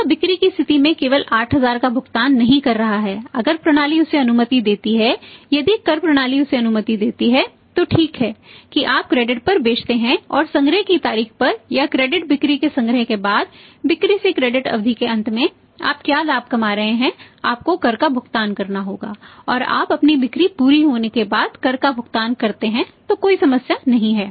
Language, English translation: Hindi, He is not paying at the point of sale only 8000 if the if the system I lost him either tax system allows him that ok you sell on credit and on the date of collection or after the collection of the credit sales that means that is at the end of the credit period from the sale proceeds what are the profit you are earning you have to pay the tax and you pay the tax after your sales are realized then there is no problem at all